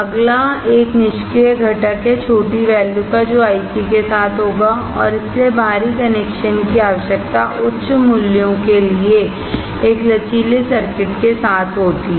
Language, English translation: Hindi, Next one is passive components with the ICs will have a small value and hence an external connection is required with one flexible circuit for higher values